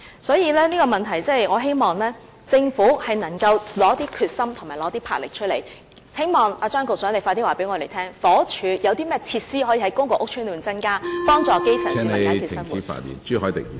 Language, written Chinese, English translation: Cantonese, 所以，就這個問題，我希望政府能夠拿出決心和魄力，希望張局長快一點告訴我們，房屋署可在公共屋邨內增加甚麼設施，以幫助基層......, I hope Secretary Prof Anthony CHEUNG can tell us at an early date what additional facilities the Housing Department can introduce into public housing estates to help the grass roots solve the problems in their daily lives